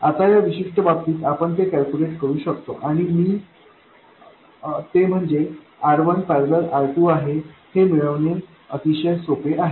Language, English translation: Marathi, Now in this particular case you can calculate it and it is very easy to see that it is simply equal to R1 parallel R2